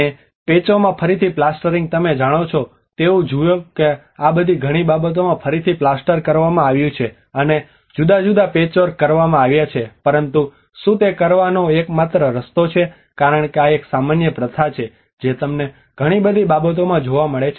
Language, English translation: Gujarati, And re plastering in patches you know like see that these many of the things have been re plastered and different patchwork has been done but is it the only way to do it because this is the one of the common practice you find in many of the conservation projects